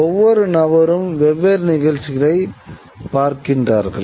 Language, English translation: Tamil, Each person gets to see different things